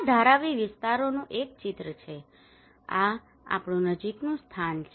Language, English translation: Gujarati, This is one of the picture of Dharavi areas, this is our location close to